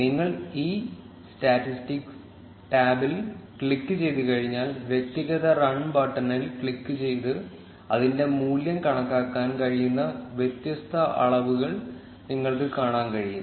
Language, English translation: Malayalam, Once you click on this statistics tab, you will be able to see the different measures whose value can be calculated by clicking on the individual run button